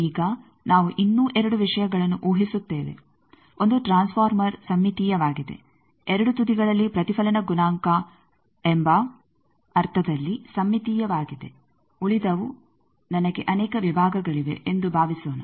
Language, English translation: Kannada, Now, we also assume two more things, one is the transformer is symmetrical, symmetrical in the sense that the reflection coefficient at the two ends the remaining is suppose I have multiple sections